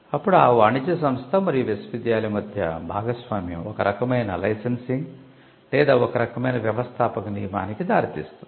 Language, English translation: Telugu, Then the partnership between the commercial entity and the university would lead to some kind of licensing or even some kind of an entrepreneurship rule